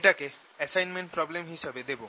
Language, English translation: Bengali, i will give that as an assignment problem